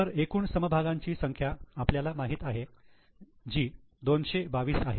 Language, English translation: Marathi, So, number of shares is known to you which is 2 to 2